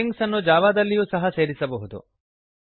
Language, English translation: Kannada, Strings can also be added in Java